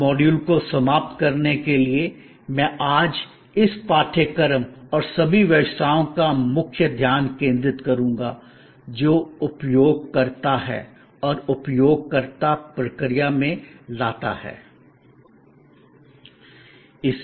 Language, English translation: Hindi, To end this module, I will introduce the key focus of this course and of all businesses today, which is the user and what the user brings to the process